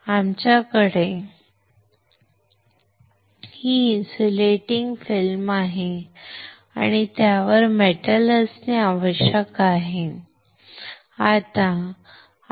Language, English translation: Marathi, We have this insulating film on this and we have to have metal on it